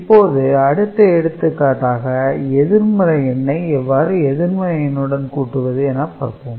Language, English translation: Tamil, Now, we look at the example of negative number with negative number